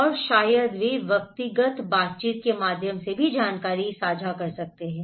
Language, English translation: Hindi, And also maybe they can share the information through personal interactions